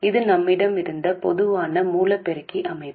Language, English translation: Tamil, This is the common source amplifier structure we had